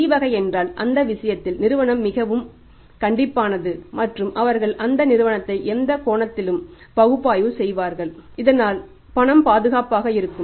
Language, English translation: Tamil, And if C category then in that case the company has very, very strict and they have to analyse that firm any angle so that the payments secure